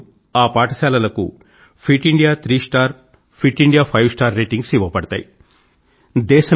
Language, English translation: Telugu, Fit India three star and Fit India five star ratings will also be given